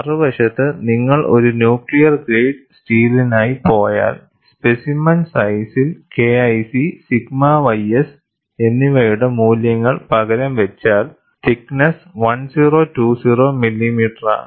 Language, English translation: Malayalam, On the other hand, if you go for nuclear grade steel, if you substitute the values of K 1 C and sigma y s in that, the specimen size, that is the thickness, is 1020 millimeters